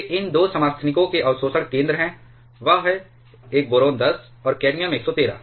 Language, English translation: Hindi, These are the absorption cross sections for these 2 isotopes; that is, a boron 10 and cadmium 113